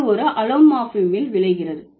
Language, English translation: Tamil, This results in an allomorph